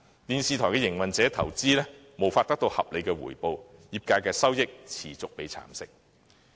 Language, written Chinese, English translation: Cantonese, 電視台營運者的投資無法得到合理回報，業界的收益也持續被蠶食。, Television broadcasters have been deprived of reasonable return from their investments and the sector continues to have its profits nibbled away